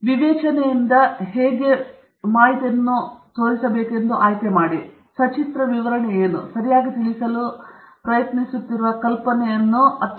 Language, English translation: Kannada, So, you have to judiciously select what is that form of illustration that best conveys the idea that you are trying to convey okay